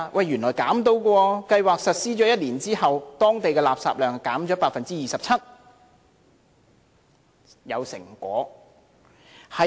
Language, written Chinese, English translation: Cantonese, 原來是可以的，計劃實施1年後，當地的垃圾量減少了 27%， 是有成果的。, The answer is in the positive . After the scheme has been implemented for one year it is already effective as the volume of local garbage has reduced by 27 %